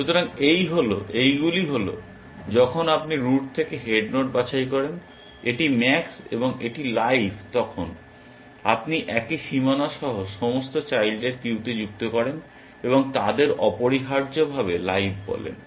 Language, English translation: Bengali, So, this is, these are the cases when you pick the head node from the root that, it is max and it is live then, you add all the children to the queue with the same bound and call